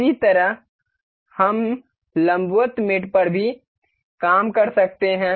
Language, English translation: Hindi, Similarly, we can work on the perpendicular mate as well